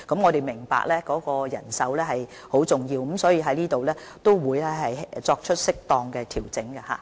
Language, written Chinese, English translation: Cantonese, 我們明白人手的重要性，所以我們會在這方面作出適當調整。, We appreciate the importance of manpower and will make appropriate adjustments in this regard